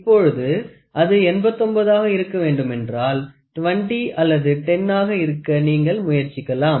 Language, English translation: Tamil, So, that if it is to be 89 or you try to instead of 20, you try to take a 10 if it is 79 then 60 take 10 and 9